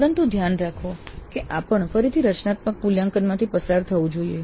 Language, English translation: Gujarati, But note that this also must go through again a formative evaluation